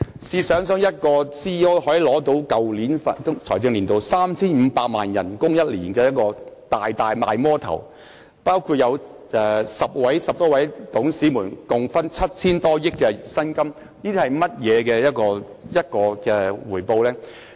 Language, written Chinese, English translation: Cantonese, 試想一下，一名 CEO 可以在去年的財政年度獲得年薪 3,500 萬元，實在是"大魔頭"，而10多名董事共分得 7,000 多億元薪金，這是怎樣的回報呢？, A CEO could receive an annual salary of 35 million in the last financial year . What a monster! . And more than 10 directors shared a total of some 700 billion as their emoluments